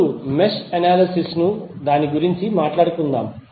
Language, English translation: Telugu, Now, let us talk about mesh analysis